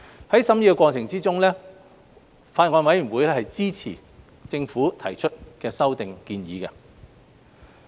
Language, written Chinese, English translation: Cantonese, 在審議過程中，法案委員會支持政府提出的修訂建議。, The Bills Committee supported the Governments proposed amendments during the deliberation process